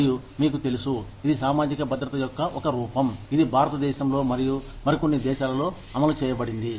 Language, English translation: Telugu, And, you know, it is a form of social security, that is implemented here in India, and in some other countries